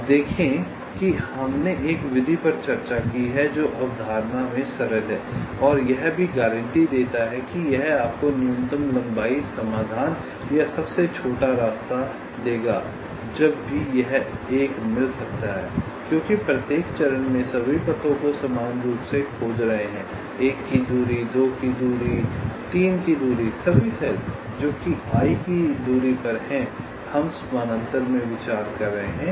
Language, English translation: Hindi, now, see, we have ah discussed a method which is simple in concept and also it guarantees that it will give you the minimum length solution or the shortest path whenever it can find one, because you are exploring all paths parallely at each step, ah, distance of one, distance of two, distance of three, all the cells which are at a distance of i we are considering in parallel